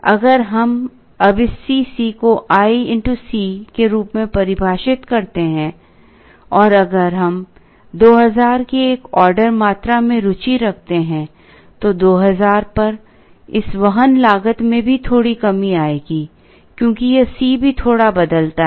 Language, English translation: Hindi, If we now define this C c as i into C, and if we are interested in an order quantity of 2000, at 2000 this carrying cost will also come down slightly because this C also changes slightly